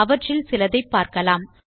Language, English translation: Tamil, Lets look at some of the ways